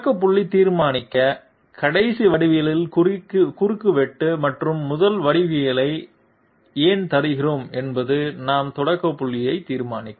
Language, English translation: Tamil, Why do we give that, to determine the starting point, the intersection of the last geometry and the first geometry will determine our starting point